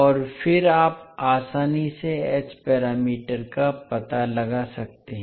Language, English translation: Hindi, And then you can easily find out the h parameters